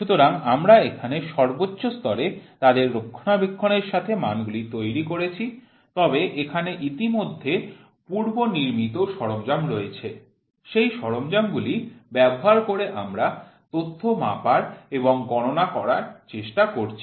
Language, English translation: Bengali, So, here we are developing standards with their maintenance at the highest level, but here already preexisting equipment is there using that equipment we are trying to measure and quantify data